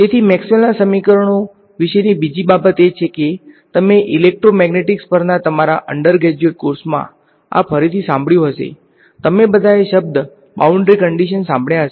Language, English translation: Gujarati, So, the other thing about Maxwell’s equations is that you would have again heard this in your undergraduate course on electromagnetic says that, you all heard the word boundary conditions, boundary conditions right